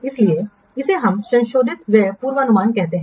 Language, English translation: Hindi, So, this we call them the revised expenditure forecast